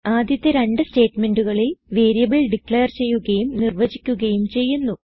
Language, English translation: Malayalam, the first two statements the variables are declared and defined